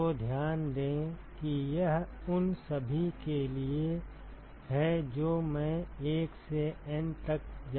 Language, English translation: Hindi, So, note that this is for all i going from 1 to N